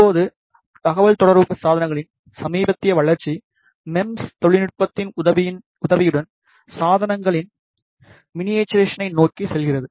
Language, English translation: Tamil, Now, the recent development of communication devices has lead towards the miniaturization of devices, which is possible with the help of MEMS technology